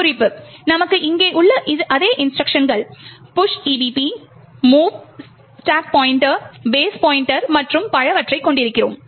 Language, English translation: Tamil, Note, the same instructions over here you have push EBP, mov stack pointer base pointer and so on